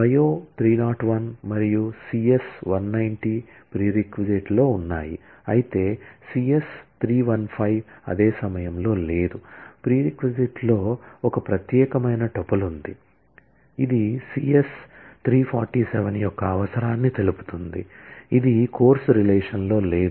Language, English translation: Telugu, Bio 301 and CS 190 is present in prereq, but CS 315 is not present in at the same time, the prereq has one particular tuple, specifying the prerequisite of CS 347, which in turn is not present in the course relation